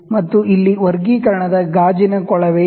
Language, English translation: Kannada, And here is the graduation glass tube